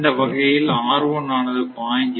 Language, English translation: Tamil, So, R will be 1